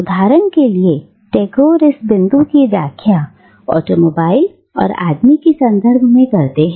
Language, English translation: Hindi, Tagore explains this point with reference to man's relationship to an automobile, for instance